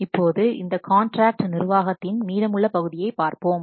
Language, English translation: Tamil, So, now let's see the remaining portion of this contract management